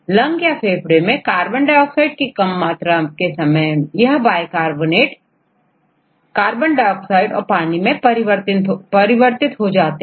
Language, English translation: Hindi, In the case of lungs and low carbon dioxide concentration, this bicarbonate this is reduced to CO2 plus H2O